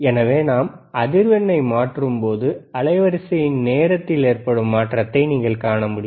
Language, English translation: Tamil, So, you can also see that when we are changing frequency, you will also be able to see the change in time